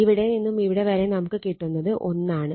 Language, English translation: Malayalam, So, divided by this figure that is getting 1